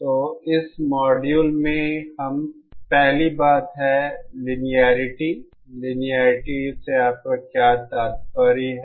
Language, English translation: Hindi, So in this module the first thing what is Linearity, what do you mean by Linearity